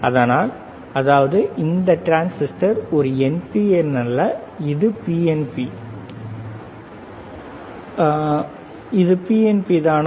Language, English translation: Tamil, So; that means, that this transistor is not an NPN, is it PNP